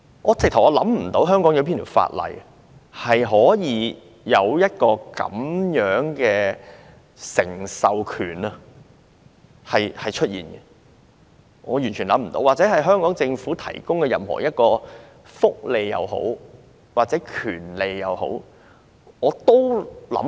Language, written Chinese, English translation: Cantonese, 我想不到香港哪項法例有訂定這種繼承權，也完全想不到香港政府曾提供這樣的一項福利或權利。, Neither can I recall any particular law of Hong Kong in which this right of succession is prescribed nor can I think of such a welfare or entitlement ever provided by the Hong Kong Government